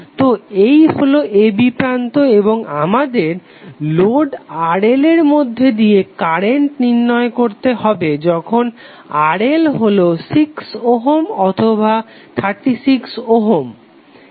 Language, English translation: Bengali, So these are the terminals a b and we have to find out the current through the load when RL is equal to either 6 ohm or 36 ohm